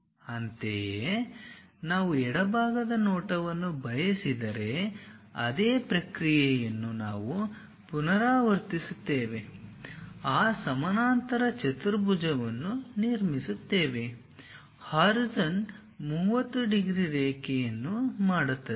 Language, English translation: Kannada, Similarly, if we want left side view we repeat the same process construct that parallelogram, making horizon 30 degrees line